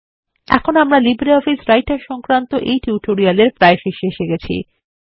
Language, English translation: Bengali, This brings us to the end of this spoken tutorial on LibreOffice Writer